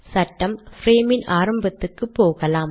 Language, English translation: Tamil, Lets go to the beginning of the frame